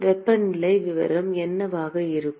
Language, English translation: Tamil, What will be the temperature profile